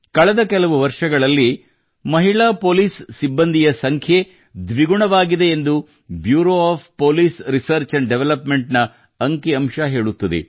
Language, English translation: Kannada, The statistics from the Bureau of Police Research and Development show that in the last few years, the number of women police personnel has doubled